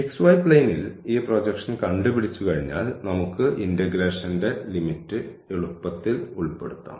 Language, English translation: Malayalam, And, then once we have figured out this projection on the xy plane then we can easily put the limits of the integration